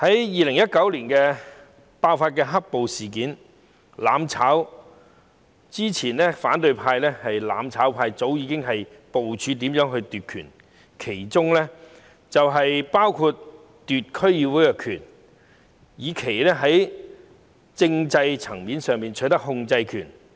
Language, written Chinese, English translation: Cantonese, 2019年爆發"黑暴"事件，反對派及"攬炒派"在"攬炒"前早已部署如何奪權，包括在區議會奪權，以期在政制層面取得控制權。, Since the outbreak of the black - clad violence incidents in 2019 the opposition camp and the mutual destruction camp had plotted to seize power long before they initiated mutual destruction including seizing power at DCs to take control at the political and constitutional levels